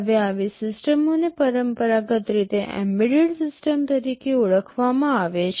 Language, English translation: Gujarati, Now, such systems are traditionally referred to as embedded systems